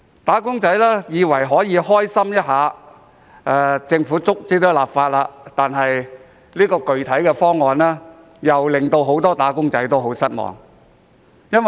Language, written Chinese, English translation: Cantonese, "打工仔"以為可以開心一下，因為政府最終也立法，但這個具體方案卻令很多"打工仔"感到失望。, While wage earners thought that they would be pleased about the Governments enactment the specific proposal has disappointed many of them